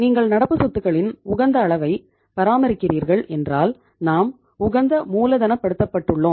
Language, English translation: Tamil, So you have to keep the optimum level of the current assets and for that you need the optimum level of working capital